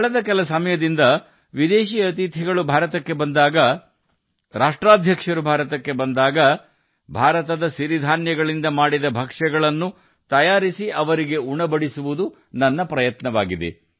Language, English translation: Kannada, For the last some time, when any foreign guests come to India, when Heads of State comes to India, it is my endeavor to get dishes made from the millets of India, that is, our coarse grains in the banquets